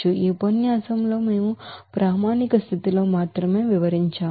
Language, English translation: Telugu, In this lecture, we have described only at standard condition